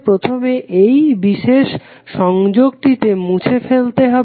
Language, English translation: Bengali, You will first remove this particular link